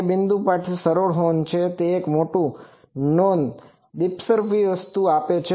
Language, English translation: Gujarati, It is a simple horn for point is it is also gives a non dispersive thing